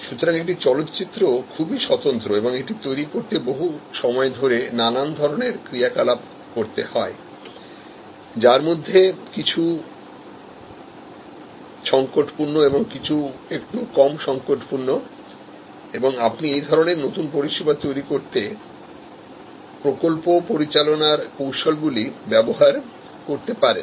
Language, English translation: Bengali, So, a movie is one of a kind and it is a low volume, long duration, there are many activities and there are critical and sub critical activities, you can use project management techniques in this kind of new service creation